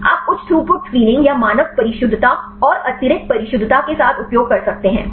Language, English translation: Hindi, You can use the high throughput screening or with the standard precision and the extra precision